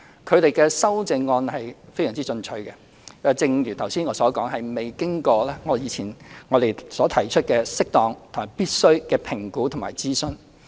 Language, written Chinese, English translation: Cantonese, 他們的修正案非常進取，正如我剛才所說，這是沒有經過我在之前提及的適當及必須的評估及諮詢。, Their amendments are very aggressive which as I have said have not undergone the appropriate and necessary assessment and consultation that I have mentioned before